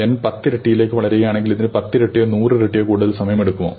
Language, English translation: Malayalam, If N term grows to factor of ten, does it takes ten times more or hundred times more time